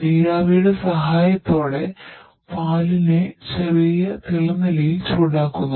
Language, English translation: Malayalam, With the help of steam we heat the milk at the lower boiling temperature